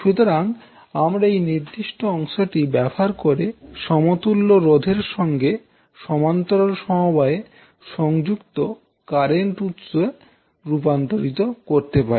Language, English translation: Bengali, So this particular segment you can utilize to convert into equivalent current source in parallel with resistance